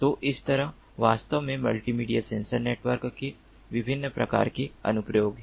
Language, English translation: Hindi, so there are different applications of multimedia sensor networks